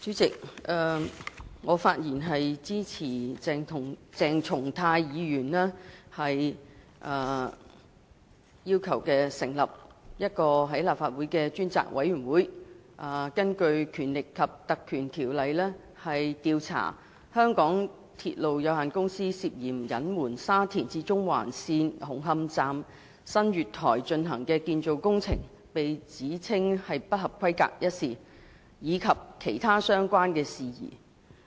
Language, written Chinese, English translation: Cantonese, 主席，我發言支持鄭松泰議員要求立法會委任一個專責委員會，根據《立法會條例》調查香港鐵路有限公司涉嫌隱瞞沙田至中環線紅磡站新月台進行的建造工程被指稱不合規格一事，以及其他相關事宜。, President I speak in support of Dr CHENG Chung - tais request for the Legislative Council to appoint a select committee under the Legislative Council Ordinance to inquire into the suspected concealment of the alleged substandard construction works carried out at the new platforms of Hung Hom Station of the Shatin to Central Link SCL by the MTR Corporation Limited MTRCL and other related matters